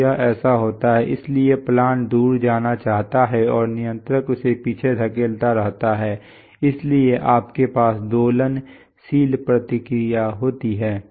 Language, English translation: Hindi, So this is what happens, so the plant tends to run away and the controller keeps pushing it back, so you have an oscillating response